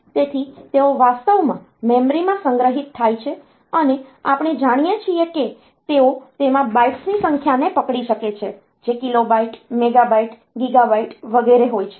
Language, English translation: Gujarati, So, they are actually stored in the memory and we know that they can hold number of bytes in it; kilobyte, megabyte, gigabyte etcetera